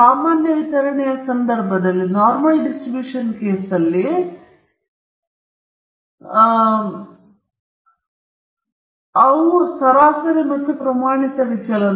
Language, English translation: Kannada, In the case of the normal distribution, the parameters of the distribution themselves are mean and standard deviation